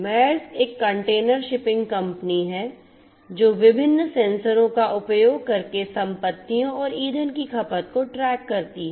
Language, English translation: Hindi, Maersk is in the space of intelligent shipping, Maersk is a container shipping company that tracks the assets and fuel consumption using different sensors